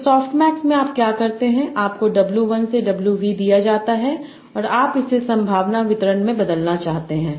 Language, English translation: Hindi, So in soft mix what you do is you are given w1 to wV and you want to convert that to a probability distribution